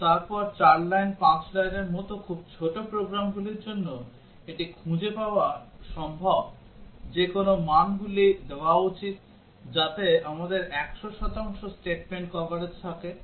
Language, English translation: Bengali, But then for very small programs like 4 lines, 5 lines, it is possible to find out what are the values to be given such that we would have 100 percent statement coverage